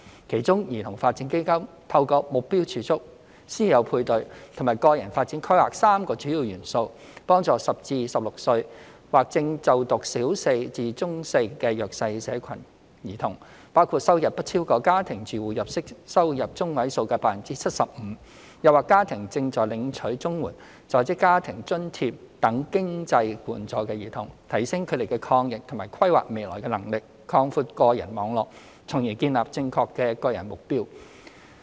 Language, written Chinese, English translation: Cantonese, 其中，兒童發展基金透過目標儲蓄、師友配對和個人發展規劃3個主要元素，幫助10至16歲或正就讀小四至中四的弱勢社群兒童，包括收入不超過家庭住戶每月收入中位數 75%； 又或家庭正在領取綜合社會保障援助、在職家庭津貼等經濟援助的兒童，提升他們抗逆和規劃未來的能力，擴闊個人網絡，從而建立正確的個人目標。, The Child Development Fund makes use of its three major components namely targeted savings mentorship programme and personal development plans to help the disadvantaged children aged 10 to 16 or students at Primary Four to Secondary Four level whose household income is less than 75 % of the Median Monthly Domestic Household Income or whose families are receiving financial assistance such as the Comprehensive Social Security Assistance or the Working Family Allowance . Through the enhancement of personal resilience and ability in planning for their future the participants will be driven to set the right personal goals